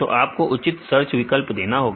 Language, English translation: Hindi, So, you should provide proper search options